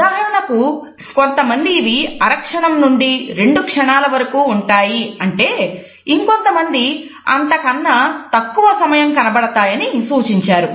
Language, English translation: Telugu, For example, some say that it is between half a second to 2 seconds whereas, some critics think that it is even shorter than this